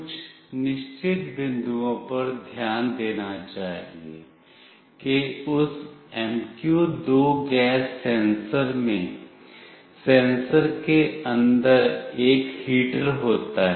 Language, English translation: Hindi, There are certain points to be noted that in that MQ2 gas sensor there is a heater inside the sensor